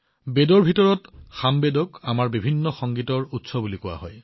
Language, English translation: Assamese, In the Vedas, Samaveda has been called the source of our diverse music